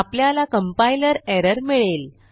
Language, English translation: Marathi, We get a compiler error